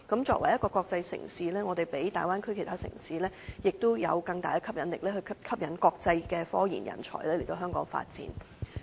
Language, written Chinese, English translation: Cantonese, 作為一個國際城市，我們比大灣區其他城市有更大吸引力，吸引國際科研人才來香港發展。, As an international city we are more attractive than other cities in the Bay Area . We are able to attract talents in scientific research from around the world to come to Hong Kong for development